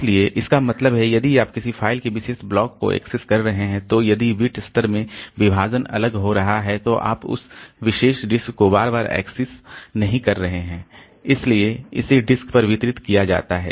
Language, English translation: Hindi, So, that means if you are accessing one particular block of a file then if in a bit level splitting you stripping so you are not accessing that particular disk again and again so it is distributed over the disk